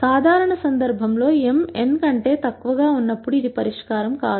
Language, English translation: Telugu, In the usual case this will lead to no solution when m is less than n